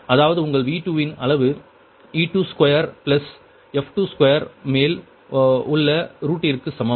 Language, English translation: Tamil, that means your ah, magnitude of v two is equal to root over e two square plus f two square